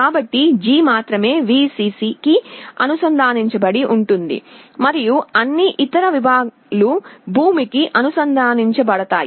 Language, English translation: Telugu, So, only G will be connected to Vcc and all other segments will be connected to ground